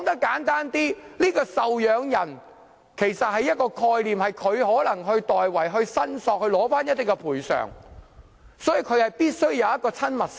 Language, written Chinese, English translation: Cantonese, 簡單來說，"受養人"其實是一種概念，可能會代為申索賠償，所以必須有親密性。, In short dependent is actually a concept referring to a person who may make a claim for damages on behalf of the deceased so the relationship must be a close one